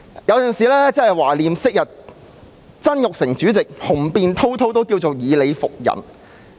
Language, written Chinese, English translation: Cantonese, 有時候真的懷念昔日曾鈺成主席，他雄辯滔滔，以理服人。, Sometimes I really miss former President Jasper TSANG who is eloquent and convinces people with his reasoning